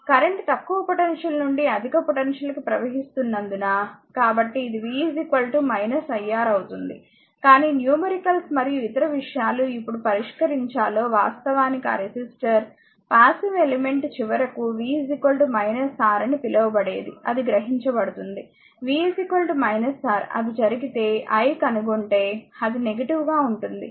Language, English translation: Telugu, So, it will be v is equal to minus iR, but when we will solve the numericals and other thing we will find that actually later we will see that your what you call that resistor is passive element final it will absorbed power if v is equal to minus R it happens you will find that I will be negative